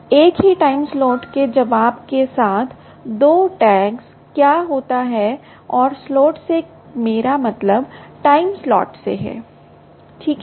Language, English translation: Hindi, two tags with the responding the same time slot, and saying slot, i mean the time slot